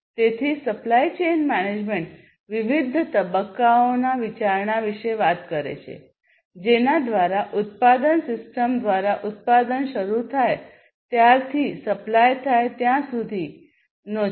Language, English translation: Gujarati, So, supply chain management talks about consideration of the different stages through which the production system starting from the production till the supply goes through